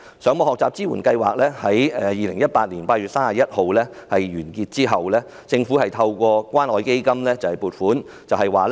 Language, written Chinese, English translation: Cantonese, 上網學習支援計劃在2018年8月31日完結之後，政府透過關愛基金撥款。, After the Internet Learning Support Programme ended on 31 August 2018 the Government has provided funding through the Community Care Fund